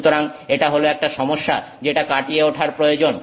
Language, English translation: Bengali, So, that's a challenge that needs to be overcome